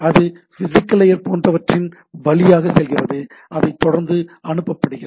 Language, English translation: Tamil, And it goes on through the physical layer and the type of thing so, it goes on routed